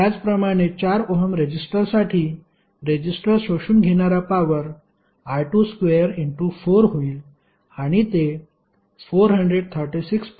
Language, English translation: Marathi, Similarly for 4 ohm resistor, the power absorbed the resistor would be I 2 square into 4 and that would be 436